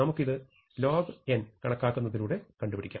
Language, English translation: Malayalam, So, I can combine these as 2 to the n